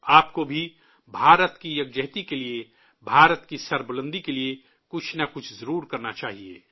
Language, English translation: Urdu, You too must do something for the unity of India, for the greatness of India